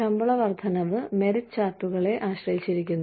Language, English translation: Malayalam, Pay raises are dependent on, merit charts